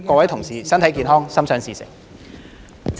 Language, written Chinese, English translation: Cantonese, 各位同事身體健康，心想事成。, colleagues good health and every success in the future